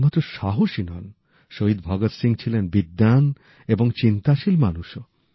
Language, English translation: Bengali, Shaheed Bhagat Singh was as much a fighter as he was a scholar, a thinker